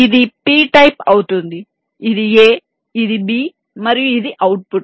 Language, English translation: Telugu, this will be p type, this is also a, this is also b and this is the output